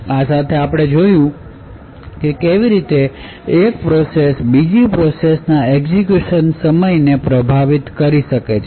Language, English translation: Gujarati, With this we have actually seen how one process could influence the execution time of other process